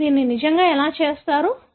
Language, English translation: Telugu, How do you really do this